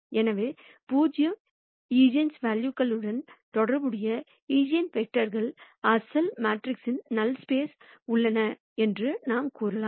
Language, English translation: Tamil, So, we could say, the eigenvectors corresponding to 0 eigenvalues are in the null space of the original matrix A